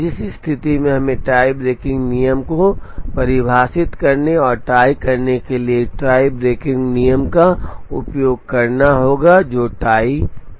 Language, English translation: Hindi, In which case we need to define a tie breaking rule and use the tie breaking rule to choose, the jobs that are in the tie